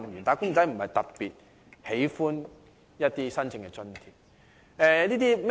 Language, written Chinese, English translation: Cantonese, "打工仔"並非特別喜歡申請津貼。, They are not particularly keen on applying for subsidies